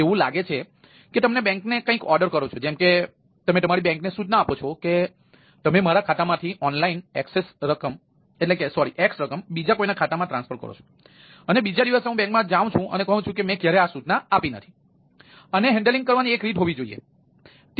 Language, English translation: Gujarati, like you say that the bank, you instruct your bank that you transfer over online, that you transfer x amount from my account to somebody elses account and next day i go to the bank that i never gave this right